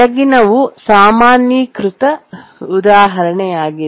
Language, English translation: Kannada, This is another more generalized example